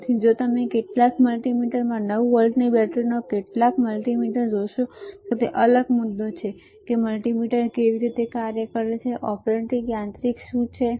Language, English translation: Gujarati, So, if you see in some multimeters 9 volt battery some multimeter it is different the point is, what is the operating mechanism how multimeter operates